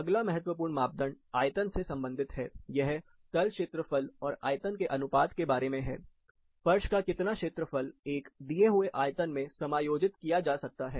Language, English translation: Hindi, Then another important parameter talks about the volume, it is about surface area to volume ratio, how much floor area can be accommodated in a given volume